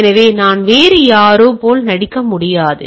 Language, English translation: Tamil, So, I cannot somebody else is pretending to be somebody else